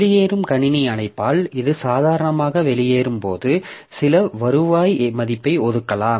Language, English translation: Tamil, So, when it exits, normally with the exit system call we can assign some return value